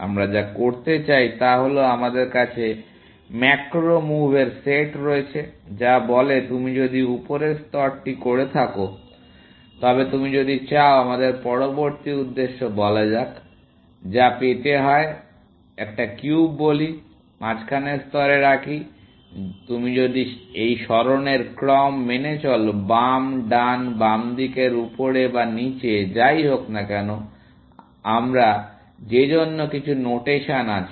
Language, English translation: Bengali, So, what we tend to do is that we have the set of macro moves, which says, if you have done the top layer, then if you want to; let us say the next objective, which is to get; Let us say one cube, let into place in the middle layer; you say do this sequence of moves; left, right, left up down, whatever, we have some notation for that